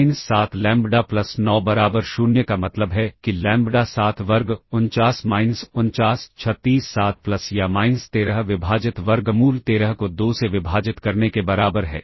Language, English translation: Hindi, Implies lambda square minus 7 lambda plus 9 equal to 0 implies; lambda equals well 7 plus or minus square root of 7 square 49 minus 9 36 7 plus or minus 13 divided by square root of 13 divided by 2